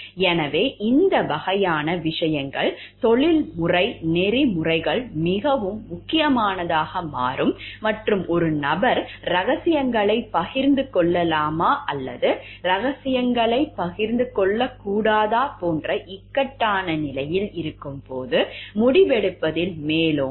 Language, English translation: Tamil, So, these type of things is where the professional ethics becomes important, really important and overwrites in the decision making when a person is in point of dilemma like whether to share the secrets or not to share the secrets